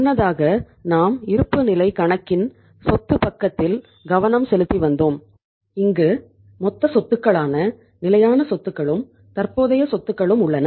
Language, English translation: Tamil, Earlier we were focusing upon the asset side of the balance sheet where we had the total asset that is the fixed assets and the current assets